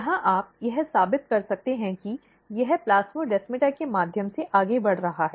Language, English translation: Hindi, This suggest that micro RNA is actually moving through the plasmodesmata